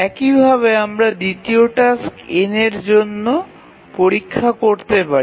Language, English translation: Bengali, Similarly we can check for the second task